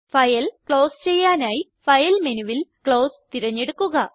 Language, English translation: Malayalam, Go to File menu, select Close to close the file